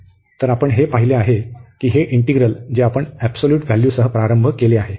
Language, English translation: Marathi, So, what we have seen that this integral, which we have started with the absolute value